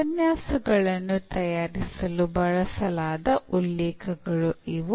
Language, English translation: Kannada, So, these are the references used for preparing the lectures and